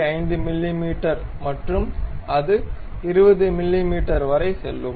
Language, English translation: Tamil, 5 mm and it goes all the way to 20 mm